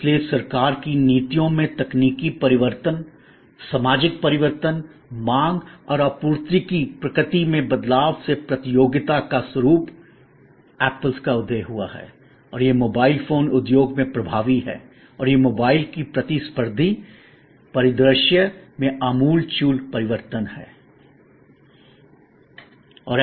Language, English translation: Hindi, So, this kind of change in technology change in government policies social changes, changing the nature of demand and supply changing the nature of competition the emergence of apple and it is dominants in the mobile phone industry is a radical change in the competitive landscape of mobile phones